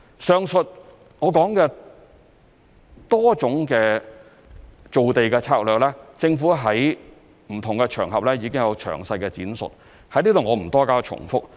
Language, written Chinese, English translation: Cantonese, 上述我提到的多種造地策略，政府在不同場合已經有詳細闡述，在此我不多加重複。, The Government has already elaborated on the aforesaid multi - pronged land creation strategy on various occasions so I will not repeat it here